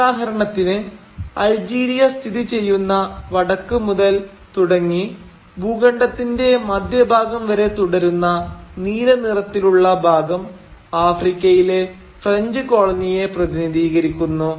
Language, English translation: Malayalam, So, for instance, the large blue patch which starts from the north where Algeria is located and which continues down almost to the centre of the continent, represents the French colony in Africa